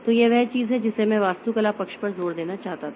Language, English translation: Hindi, So, this is the thing that I wanted to emphasize on this architecture side